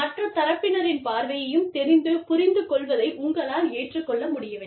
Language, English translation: Tamil, Agreeing to disagree, knowing, understanding the other party's point of view, also